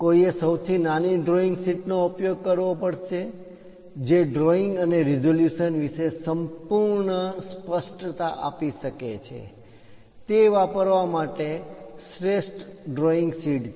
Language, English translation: Gujarati, One has to use the smallest drawing sheet , which can give complete clarity about the drawing and resolution; that is the best drawing sheet one has to use